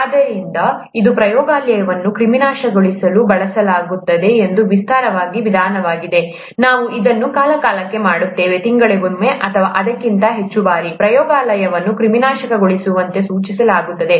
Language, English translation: Kannada, So it's an elaborate procedure that is used to sterilize the lab; we do it from time to time, may be once in a month or so, it is recommended that the lab is sterilized